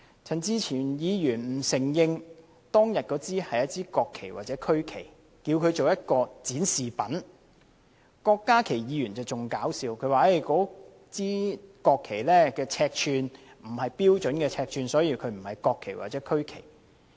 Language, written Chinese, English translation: Cantonese, 陳志全議員不承認當天擺放在議員桌上的是國旗或區旗，只稱為展示品；郭家麒議員的言論則更可笑，他說那些國旗的尺寸並非標準尺寸，所以不是國旗或區旗。, Mr CHAN Chi - chuen denied that those were national flags or regional flags placed on the desks of Members that day; he referred to them as exhibits . Dr KWOK Ka - kis remark was even more comical; he said that those flags were not of the standard specifications so they were not national or regional flags